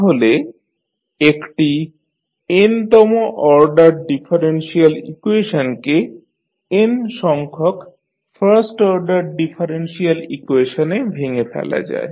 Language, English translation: Bengali, So, an nth order differential equation can be decomposed into n first order differential equations